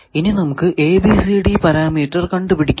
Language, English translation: Malayalam, So, let us find its ABCD parameter